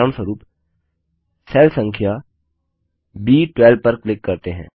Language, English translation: Hindi, For example lets click on cell number B12